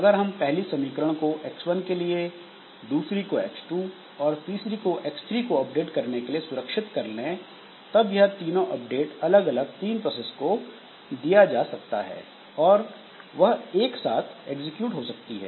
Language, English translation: Hindi, So, if we reserve the first equation for updating x1, second equation for updating x2 and third equation for updating x3, then these three updates may be given to three different processes that can execute concurrently and that way we so there we can have speed up